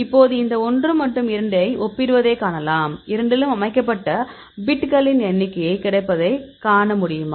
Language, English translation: Tamil, Now you can see comparing this 1 and 2; number of bits set in both, how many you can see is available in both